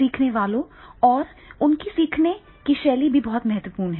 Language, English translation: Hindi, The learners, this learning style that is also becoming very, very important